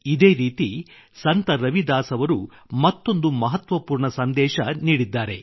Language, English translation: Kannada, In the same manner Sant Ravidas ji has given another important message